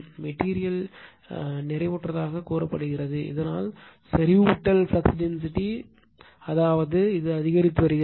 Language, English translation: Tamil, The material is said to be saturated, thus by the saturations flux density that means, this you are increasing